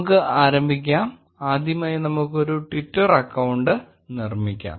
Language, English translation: Malayalam, Let us get started and first create a twitter account